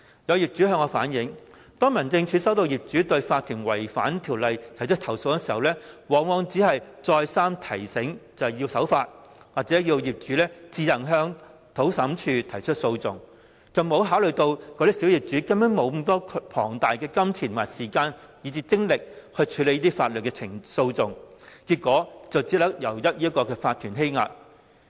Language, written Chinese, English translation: Cantonese, 有業主向我反映，當民政事務總署接獲業主就法團違反《條例》而提出投訴時，往往只是再三提醒法團必須守法，或要求業主自行向土地審裁處提出訴訟，完全沒有考慮小業主根本沒有大量金錢和時間、精力進行法律訴訟，結果只能任由法團欺壓。, An owner has relayed to me that on receiving complaints lodged by property owners about violations of BMO by OCs HAD would more often than not merely remind OCs repeatedly to abide by the law or request the owners to file a lawsuit with the Lands Tribunal without taking into account that small property owners simply did not have much money time and energy to initiate proceedings . In the end they were left to oppression by OCs